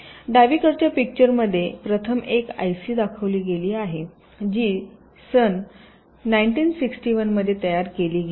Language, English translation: Marathi, so the picture in the left shows one of the first i c is that are manufactured in the year nineteen sixty one